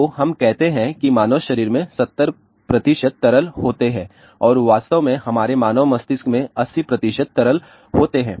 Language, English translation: Hindi, So, let us say human body consists of 70 percent liquid and in fact, our human brain consists of 80 percent liquid